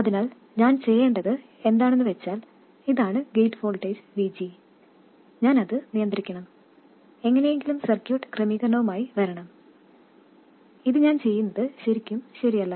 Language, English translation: Malayalam, So, what I have to do is this is the gate voltage VG, and I have to control control that and somehow come up with a circuit arrangement